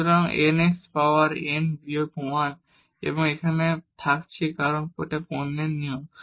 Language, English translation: Bengali, So, n x power n minus 1 and this is remain as it is here product rule